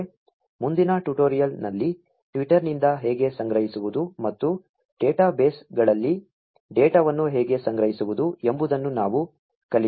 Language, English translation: Kannada, In the next tutorial, we will learn how to collect from Twitter and see how to store data in databases